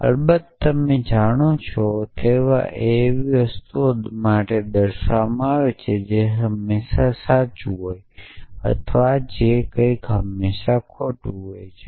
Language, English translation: Gujarati, So, that of course, you know they stand for something which is always true or and something which is the always false